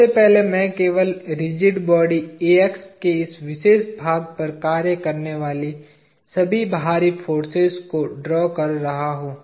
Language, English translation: Hindi, First, I am just drawing all the external forces acting on this particular part of the rigid body AX